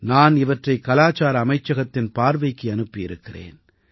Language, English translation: Tamil, I had sent them to the Culture Ministry for analysis